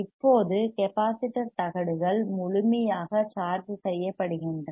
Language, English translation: Tamil, Now, capacitor plates are fully charged